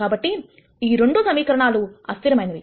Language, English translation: Telugu, So, these 2 equations are inconsistent